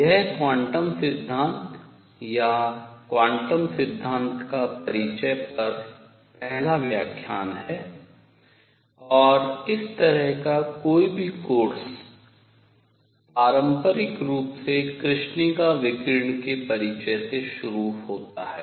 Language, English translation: Hindi, This is first lecture on Quantum Theory or Introduction to Quantum Theory, and any such course traditionally begins with Introduction to Black body Radiation